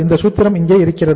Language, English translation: Tamil, This is the formula here